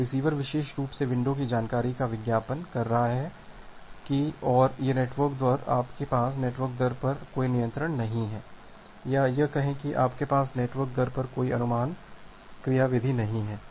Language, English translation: Hindi, So, the receiver is advertising that particular window information and this network rate you do not have any control over the network rate or rather to say you do not have any estimation mechanism over the network rate